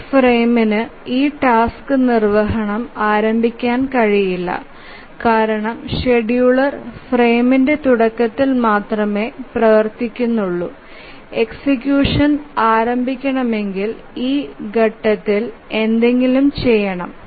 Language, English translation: Malayalam, Obviously this frame cannot start execution of this task because the scheduler activities only at the start of the frame and if anything whose execution is to be started must be undertaken at this point